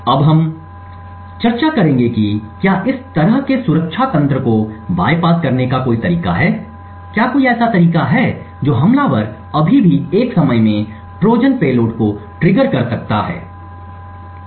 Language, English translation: Hindi, Now what we will now discuss is whether there is a way to bypass such protection mechanism, is there a way an attacker could still trigger Trojans payload at a time which is even greater than an epoch even with the resets that are present